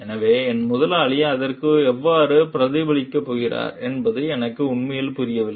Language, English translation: Tamil, So, I am really not understanding how my boss is going to react to it